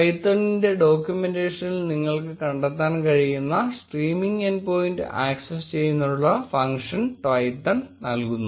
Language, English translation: Malayalam, Twython provides the functionality to access the streaming end point which you can find in Twython’s documentation